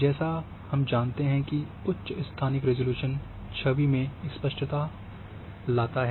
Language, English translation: Hindi, As we know that higher spatial resolution brings clarity in your image